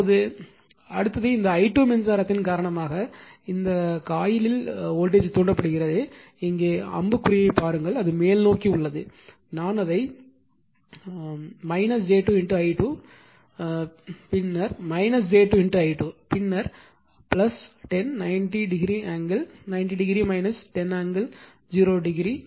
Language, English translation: Tamil, Now, next is voltage induced your what you call in this coil due to the current here i 2 will be minus j 2 look at the arrow here it is upward, I have made it your what you call minus j 2 into i 2 right here, it is minus then minus j 2 into i 2, then plus 10, 90 degree angle, 90 degree minus 10 angle 0 degree